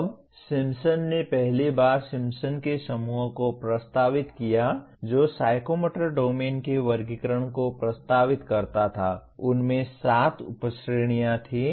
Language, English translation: Hindi, Now Simpson who first proposed the Simpson’s group that proposed the taxonomy of psychomotor domain, they gave seven subcategories